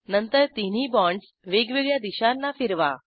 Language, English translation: Marathi, Then orient the three bonds in different directions